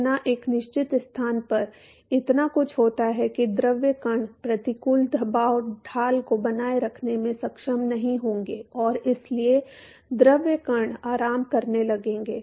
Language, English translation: Hindi, So, much that at a certain location what happens is that the fluid particles will is no more able to sustain the adverse pressure gradient and therefore, the fluid particles will come to rest